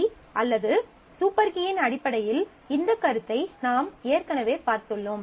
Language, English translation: Tamil, So, you have already seen this notion in terms of key or super key